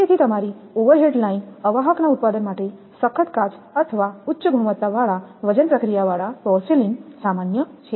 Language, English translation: Gujarati, So, overhead your overhead line insulators are to your produce from toughened glass or high quality weight processed porcelain is very common